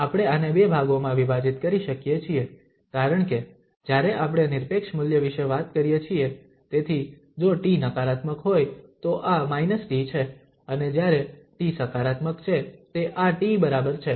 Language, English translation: Gujarati, So, we can break this into two portion because when we are talking about the absolute value so if t is negative this is like minus t and when t is positive this is equal to t